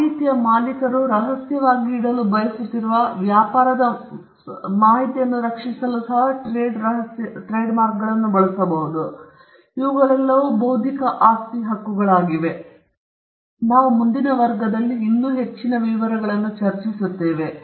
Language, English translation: Kannada, Trade secretes can be used to protect information relating to trade, which the owner of the information wants to keep as a secret, and there are other intellectual property rights, which we will discuss in some detail as we go by